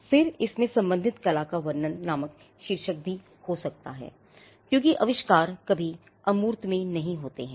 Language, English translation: Hindi, Then, it may also have a heading called description of related art because inventions are never created in abstract